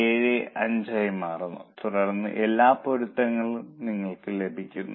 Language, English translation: Malayalam, 875 and then everything matches